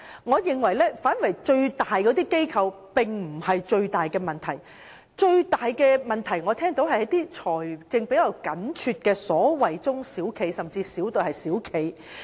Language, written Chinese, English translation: Cantonese, 我認為大型機構並非最大的問題所在，面對最大問題的是財政比較緊絀的中小企甚至微企。, I think the greatest problem lies not in large organizations . The ones facing the greatest difficulty are those financially stretched small and medium enterprises or even micro enterprises